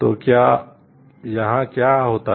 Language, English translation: Hindi, So, here what happen